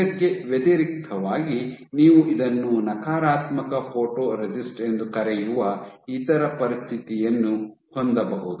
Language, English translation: Kannada, In contrast you can have the other situation this is called negative photoresist